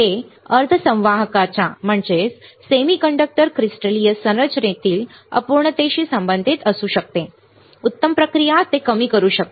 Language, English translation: Marathi, It may be related to imperfection in the crystalline structure of semiconductors as better processing can reduce it